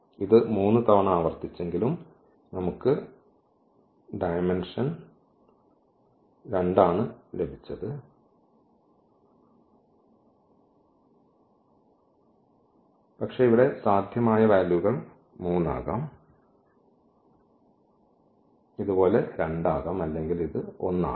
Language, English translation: Malayalam, So, again though it was repeated 3 times, but we got only this dimension as 2 not 3 and not 1, but the possible values here could be 3, it could be 2 as this is the case here, but it can be 1 as well